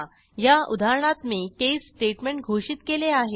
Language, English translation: Marathi, I have declared an case statement in this example